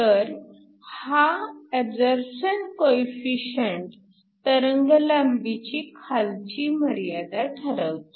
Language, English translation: Marathi, So, This absorption coefficient determines the lower wavelength regime